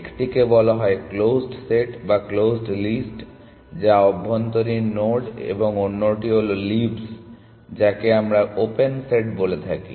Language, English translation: Bengali, One is called the closed set or closed list which is the internal nodes and the other is the leaves which we call as a open set